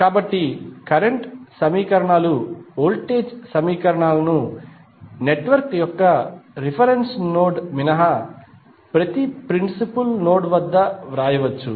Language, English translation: Telugu, So, the current equations enhance the voltage equations may be written at each principal node of a network with exception of reference node